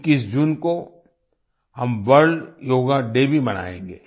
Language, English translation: Hindi, We will also celebrate 'World Yoga Day' on 21st June